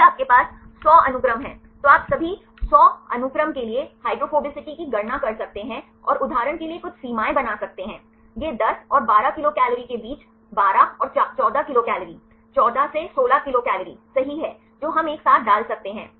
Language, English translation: Hindi, If you have 100 sequences, you can calculate the hydrophobicity for all 100 sequences and make some threshold like for example, it is between 10 and 12 kcal are 12 and 14 kcal, 14 to 16 kcal right within that clusters we can put together